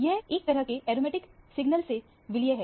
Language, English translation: Hindi, It is sort of merged with aromatic signal